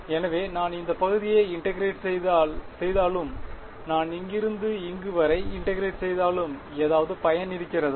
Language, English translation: Tamil, So, if I integrate at any region let us say if I integrate from here to here is there any use